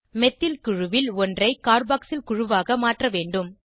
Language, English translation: Tamil, We have to convert one of the methyl groups to a carboxyl group